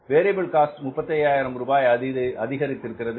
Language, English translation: Tamil, Increase in the variable cost is 35,000